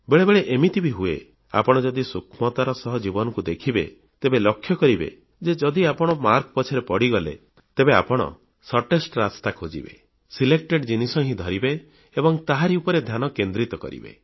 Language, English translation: Odia, But this also happens sometimes and if you analyse minutely the journey of your own life, you will realise that if you start running after marks, you will look for the shortest ways, and will identify a few selected things and focus on those only